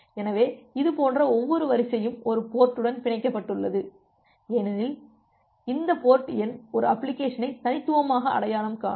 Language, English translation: Tamil, So, every such queue is bounded to it one port because as you have seen earlier that this port number it uniquely identifies an application